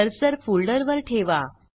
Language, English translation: Marathi, Place the cursor on the folder